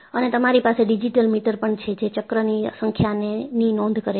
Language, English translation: Gujarati, And, you have a digital meter, which records the number of cycles